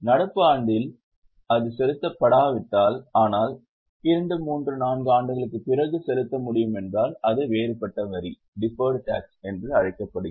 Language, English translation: Tamil, If it is not to be paid in current year but can be paid after two, three, four years It's called as a deferred tax